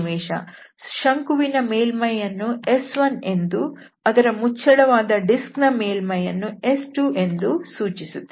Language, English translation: Kannada, This cone is denoted by the surface N and its cover there we have denoted by S2